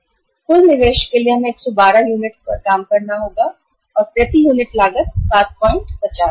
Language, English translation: Hindi, This is the uh total investment is total investment we have to work out so 112 units and the cost per unit is 7